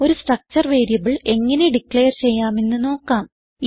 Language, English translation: Malayalam, Now we will see how to declare a structure variable